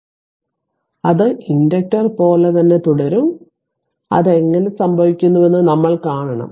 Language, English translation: Malayalam, So, philosophy will remain same ah just as it is inductor, so just just we have to see how it happens